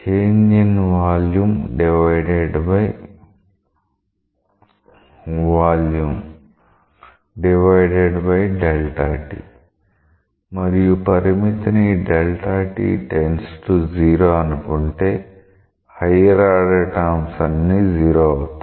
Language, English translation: Telugu, This change in volume divided by volume divided by delta t and take the limit as delta t tends to 0, when the all other higher order terms in the limit will be 0